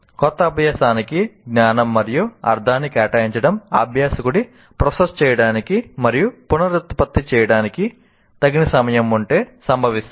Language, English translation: Telugu, The assignment of sense and meaning to new learning can occur only if the learner has adequate time to process and reprocess it